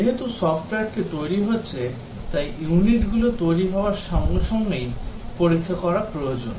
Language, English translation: Bengali, As the software getting developed unit needs to be tested as soon as it has been developed